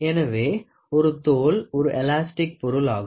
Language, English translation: Tamil, So, a skin is an elastic material